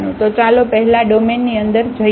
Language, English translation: Gujarati, So, let us move to inside the domain first